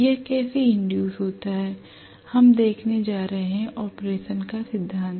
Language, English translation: Hindi, How it gets induced we are going to see, the principle of operation